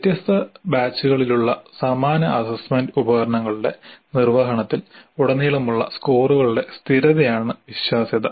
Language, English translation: Malayalam, Reliability is consistency of scores across administration of similar assessment instruments over different batches